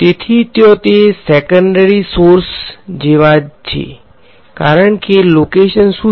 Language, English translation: Gujarati, So, there are exactly like those secondary sources; because what is the location